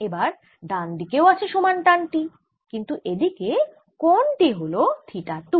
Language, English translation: Bengali, i have same tension but it making angle theta two